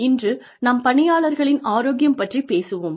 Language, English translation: Tamil, Today, we will talk about, employee health